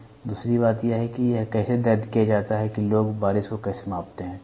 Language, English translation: Hindi, Second thing is how is it recorded last is how do people measure rainfall, ok